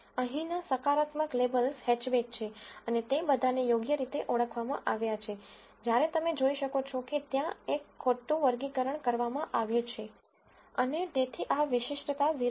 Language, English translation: Gujarati, The positive labels here are hatchback and all of them have been identified correctly, whereas if you can see there has been one misclassification and hence this specificity drops to 0